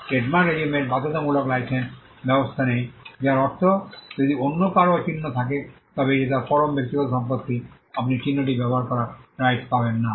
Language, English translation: Bengali, The trademark regime does not have a compulsory licensing mechanism meaning which if somebody else has a mark it is his absolute private property; you get no right to use the mark